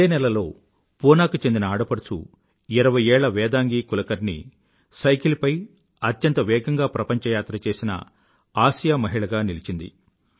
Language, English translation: Telugu, This very month, 20 year old Vedangi Kulkarni from Pune became the fastest Asian to traverse the globe riding a bicycle